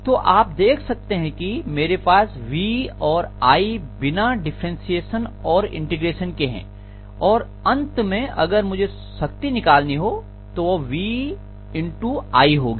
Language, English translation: Hindi, So you can very well see that I have V and i without being differentiated or integrated here and ultimately if I want power I should say V times i, right